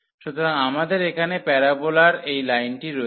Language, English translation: Bengali, So, we have the parabola we have this line here